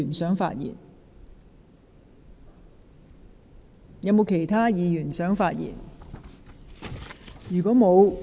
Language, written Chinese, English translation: Cantonese, 是否有其他議員想發言？, Does any other Members wish to speak?